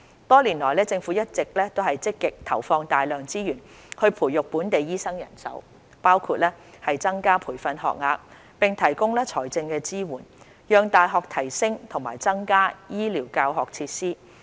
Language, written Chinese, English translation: Cantonese, 多年來，政府一直積極投放大量資源培育本地醫生人手，包括增加培訓學額，並提供財政支援，讓大學提升和增加醫療教學設施。, Over the past years the Government has devoted substantial resources to train local doctors including increasing training places and providing financial support for the universities to upgrade and increase their healthcare teaching facilities